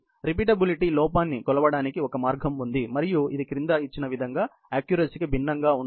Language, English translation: Telugu, There is a way to measure the repeatability error and it differs from the accuracy as given below